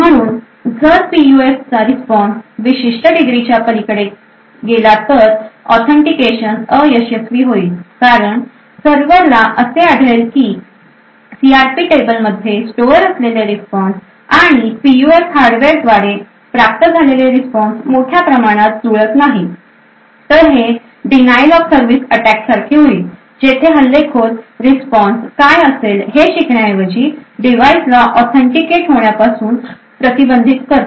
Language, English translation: Marathi, So if the PUF response is altered beyond a particular degree, the authentication would fail because the server would find a large amount of mismatch with the response which is stored in the CRP table and the response of obtained by the PUF hardware, this would be more like a denial of service attack, where the attacker rather than learning what the response would be is essentially preventing the device from getting authenticated